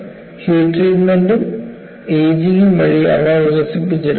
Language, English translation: Malayalam, They are purposefully developed by heat treatment and ageing